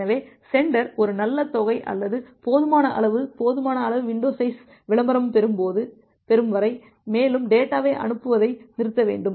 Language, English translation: Tamil, So, the sender should stall transmitting further data until it gets a good amount or sufficient or sufficient amount of window size advertisement